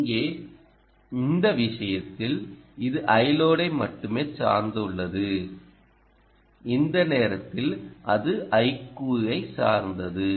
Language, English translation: Tamil, so here, in this case, it is just dependent on i load and in this time it will dependent on i q